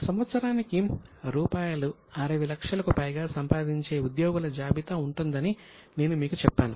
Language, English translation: Telugu, I had told you that there will be a list of employees who are earning more than 60 lakhs per year